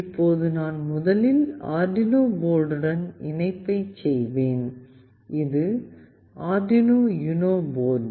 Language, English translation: Tamil, Now I will be doing the connection first with the Arduino board, this is Arduino UNO board